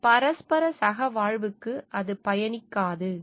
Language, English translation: Tamil, It is not beneficial to this mutual co existence